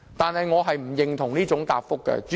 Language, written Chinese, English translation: Cantonese, 主席，我並不認同這種答覆。, President I cannot subscribe to that kind of reply